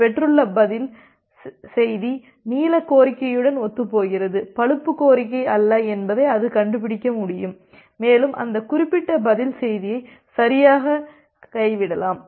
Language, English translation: Tamil, And it can find out that well the reply message that it has received it is the reply corresponds to the blue request and not the brown request and it can correctly drop that particular reply message